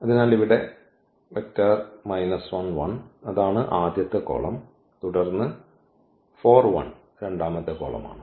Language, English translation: Malayalam, So, here minus 1 1; that is the first column, and then this 4 1 that is the second column